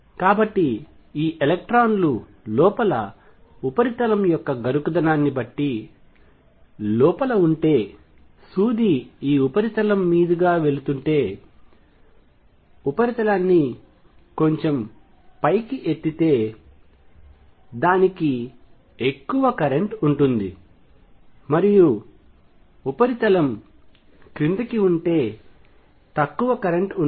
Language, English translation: Telugu, So, if there this electrons inside depending on the roughness of the surface as the needle is passing over this surface, it will have more current if the surface is lifted up and less current if the surface is down